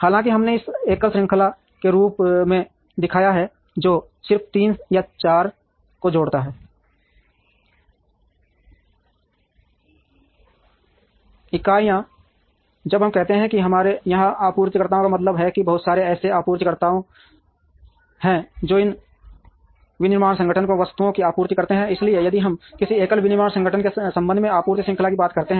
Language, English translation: Hindi, Even though, we have shown this as a single chain which just connects 3 or 4 entities, when we say suppliers here we mean a whole lot of suppliers that supply items to this manufacturing organization, so if we talk of a supply chain with respect to a single manufacturing organization